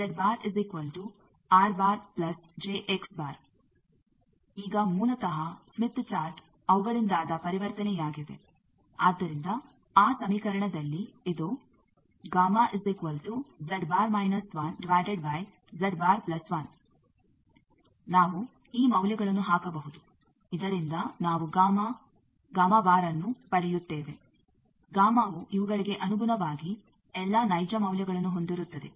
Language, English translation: Kannada, Now basically smith chart is a conversion from them, so in that equation this gamma is equal to Z bar minus 1 by Z bar plus 1, we can put these values so that we get the gamma bar gamma in terms of this all real values